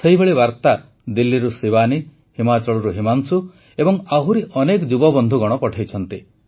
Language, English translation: Odia, Similar messages have been sent by Shivani from Delhi, Himanshu from Himachal and many other youths